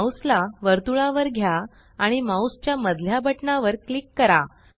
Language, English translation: Marathi, Move the mouse to the circle and now click the middle mouse button